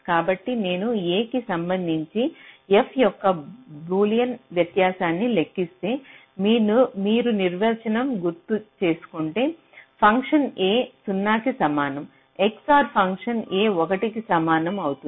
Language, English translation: Telugu, so if i calculate the boolean difference of f with respect to a, so you just recall the definition, the function where x equal to zero, a equal to zero xor